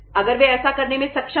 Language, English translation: Hindi, If they are able to do it